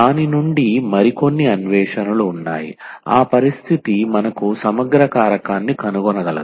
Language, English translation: Telugu, There are some more findings from that that those that condition where we can find the integrating factor